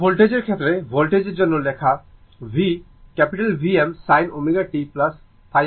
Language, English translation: Bengali, Now, in the case of voltage, voltage we are writing v is equal to V m sin omega t plus phi , right